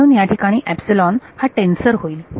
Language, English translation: Marathi, So, epsilon over there becomes a tensor that